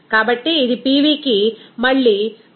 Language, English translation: Telugu, So, that will be is equal to PV is equal to znRT